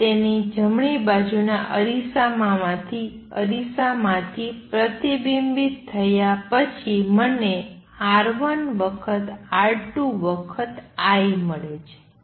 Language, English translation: Gujarati, And after its get reflected from the right side mirror I get R 1 times R 2 times I